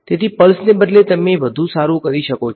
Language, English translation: Gujarati, So, instead of a pulse you can also do better you can do